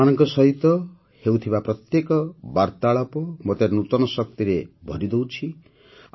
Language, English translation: Odia, Every interaction with all of you fills me up with new energy